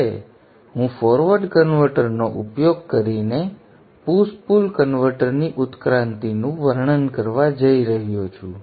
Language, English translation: Gujarati, Now I am going to describe the evolution of the push pull converter using the forward converter